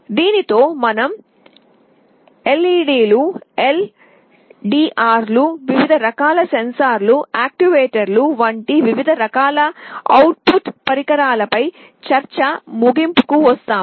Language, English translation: Telugu, With this we come to the end of our discussion on various kinds of output devices like LEDs and LDRs, various kind of sensors and actuators